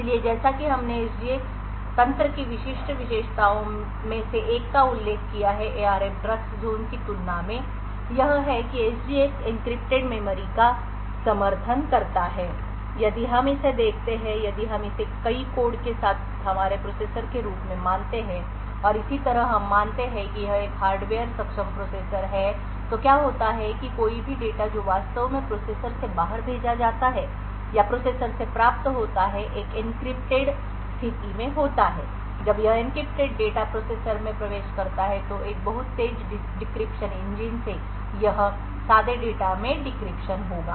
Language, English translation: Hindi, So as we mentioned one of the distinctive features of the SGX mechanism compare to the ARM Trustzone is that SGX supports encrypted memory so if we look at this so if we consider this as our processor with the multiple codes and so on and we assume that this is a hardware enabled processor then what happens is that any data which is actually sent out of the processor or received from the processor is in an encrypted state when this encrypted data enters into the processor then a very fast decryption engine would decryption it to get the plain text data